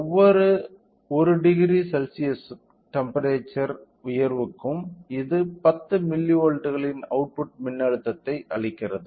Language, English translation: Tamil, For every 1 degree raise of temperature it gives an output voltage of 10 milli volts